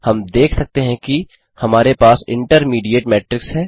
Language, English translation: Hindi, We can see that we have intermediate matrix